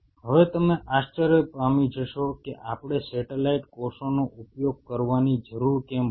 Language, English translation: Gujarati, Now, you might wonder why we needed to use the satellite cells